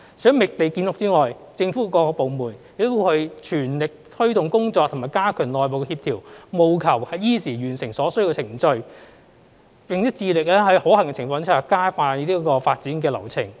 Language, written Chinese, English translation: Cantonese, 除覓地建屋之外，政府各部門亦全力推動工作及加強內部協調，務求依時完成所需的程序，並且致力在可行的情況之下，加快發展流程。, In addition to identifying sites for housing construction various government departments are also striving to take forward the relevant work and improve internal coordination with a view to completing the necessary processes and expediting the development process as far as practicable